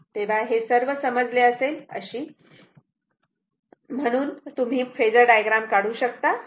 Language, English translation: Marathi, So, you can you you have understood everything that how we draw the phasor diagram